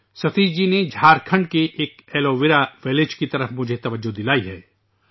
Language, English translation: Urdu, Satish ji has drawn my attention to an Aloe Vera Village in Jharkhand